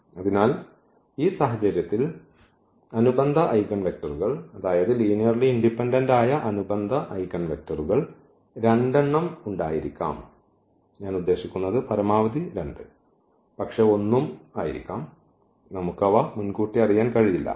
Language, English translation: Malayalam, So, in this case we have the possibility that the corresponding eigenvectors the corresponding linearly independent eigenvectors there may be 2, I mean at most 2, but there may be 1 as well, we do not know now in advance we have to compute them